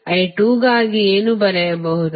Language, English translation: Kannada, For I 2 what you can write